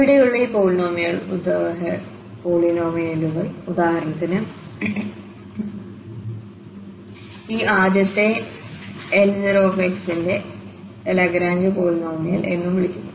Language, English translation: Malayalam, So, these polynomials here for example, this first one this is called L 0 x so the Lagrange polynomial and this is the Lagrange polynomial L 1